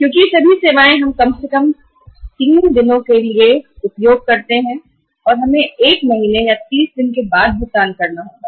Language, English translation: Hindi, Because all these services are available to us for at least 30 days and we have to pay after 1 month or 30 days